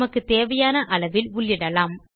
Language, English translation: Tamil, You can also enter the amount you want